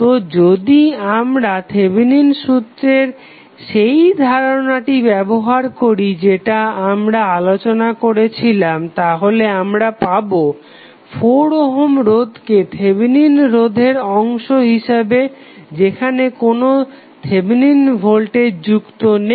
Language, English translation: Bengali, So, if you use that concept of Thevenin theorem which we discussed we will have only 1 minus 4 ohm resistance as part of the Thevenin resistance with no Thevenin voltage